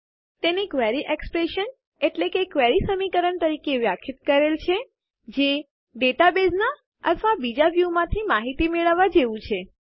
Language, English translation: Gujarati, It is defined as a Query Expression, which is simply retrieval of data from tables or other views from the database